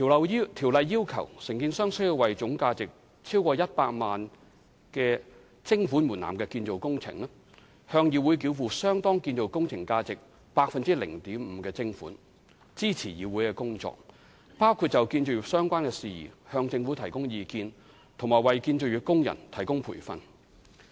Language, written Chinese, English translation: Cantonese, 該條例要求承建商須為總價值超過100萬元徵款門檻的建造工程，向議會繳付相當於建造工程價值 0.5% 的徵款，以支持議會的工作，包括就建造業相關事宜向政府提供意見，以及為建造業工人提供培訓。, Under CICO for construction operations with total value exceeding the levy threshold at 1 million contractors are required to pay a levy at 0.5 % of the value of construction operations to CIC to support its functions which include advising the Government on construction - related matters and providing training to construction workers